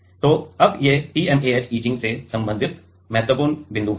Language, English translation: Hindi, So, now these are the important points related to TMAH etching